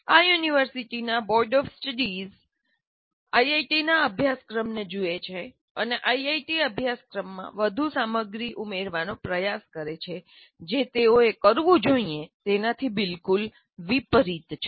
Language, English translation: Gujarati, Whenever a curriculum is to be designed, the boards of studies of these universities look at IIT curriculum and try to, in fact, add more content to the IIT curriculum, which is exactly the opposite of what they should be doing